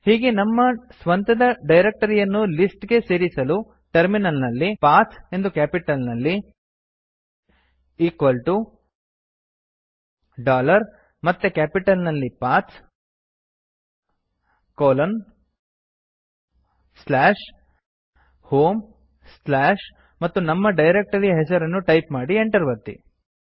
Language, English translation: Kannada, In order to add our own directory type at the terminal P A T H in capital equal to dollar P A T H again in capital colon slash home slash the name of my own home directory and press enter